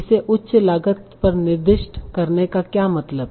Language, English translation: Hindi, What does it mean to assign it a higher cost